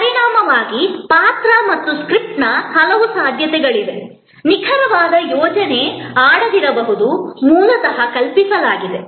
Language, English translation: Kannada, As a result, there are many possibilities of the role and the script, the exact plan may not play out has originally conceived